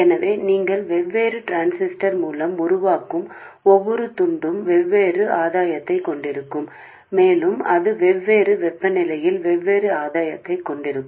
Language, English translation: Tamil, So every piece that you make with a different transistor will have a different gain and also it will have different gain at different temperatures